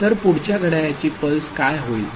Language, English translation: Marathi, So, next clock pulse what will happen